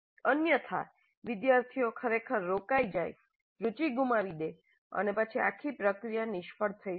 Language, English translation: Gujarati, Otherwise the students really might get turned off lose interest and then the whole process would be a failure